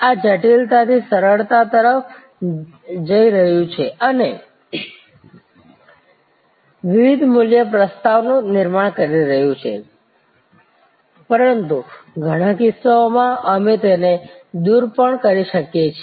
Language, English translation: Gujarati, This is going from complexity to simplicity and creating different value proposition, but in many cases, we can even eliminate